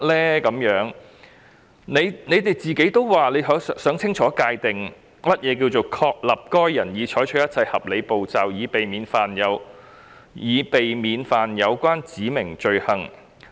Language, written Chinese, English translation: Cantonese, 當局也表示他們想清楚界定如何確立該人已採取一切合理步驟，以避免干犯指明罪行。, The authorities have also indicated their wish to clearly define how to establish that a person has taken all reasonable steps to avoid committing specified offence